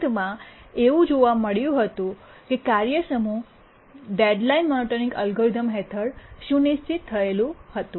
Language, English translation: Gujarati, And we see that the task set is schedulable under the D deadline monotonic algorithm